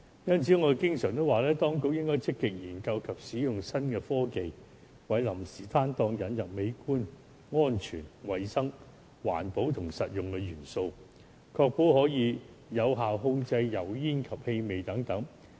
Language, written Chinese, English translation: Cantonese, 因此，我經常說，當局應該積極研究及使用新科技，為臨時攤檔引入美觀、安全、衞生、環保及實用的元素，確保有效控制油煙及氣味等。, Thus as I often say the authorities should explore and apply new technologies to introduce the elements of aesthetics safety hygiene environment friendliness and pragmatism into the temporary stalls and ensure that cooking fumes and smells etc . are effectively controlled